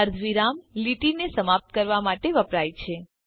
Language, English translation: Gujarati, semi colon is used to terminate a line